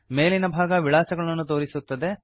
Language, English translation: Kannada, The top half displays the contacts